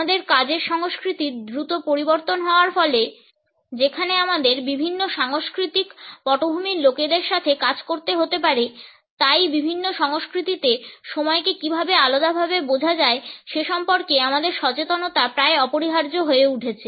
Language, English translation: Bengali, In the fast changing pace of our work cultures where we may have to work with people from different cultural background, our awareness of how time is perceived differently in different cultures has become almost a must